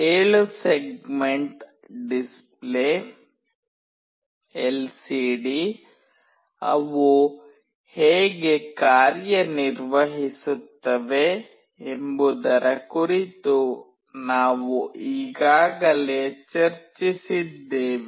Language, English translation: Kannada, We have already discussed about 7 segment display, LCD, how they work